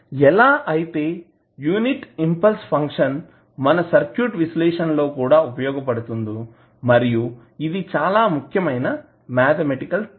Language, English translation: Telugu, Similar to that also the unit impulse function can also be utilized for our circuit analysis and it is very important mathematical tool